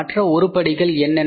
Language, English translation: Tamil, So, what are the other items